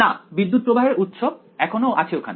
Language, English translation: Bengali, No right the current source is still there ok